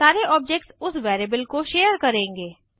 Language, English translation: Hindi, All the objects will share that variable